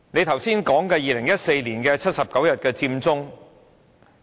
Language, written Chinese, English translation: Cantonese, 他剛才提及2014年的79日佔中。, Just now he mentioned the 79 days of the Occupy Central movement in 2014